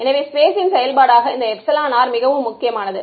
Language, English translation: Tamil, So, this epsilon r as a function of space is very important